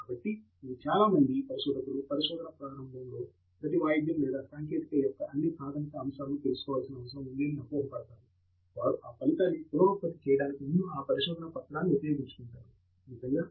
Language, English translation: Telugu, So, many initial researchers fall into this trap that they need to know all the basics of every single tool or technique that is being used in that paper before they can reproduce that result; that is not really needed